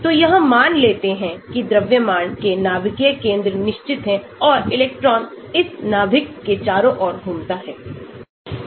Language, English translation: Hindi, so it assumes the nuclear centres of mass are fixed and the electrons move around this nucleus